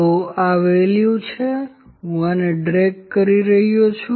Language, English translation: Gujarati, So, this is the value and I am dragging this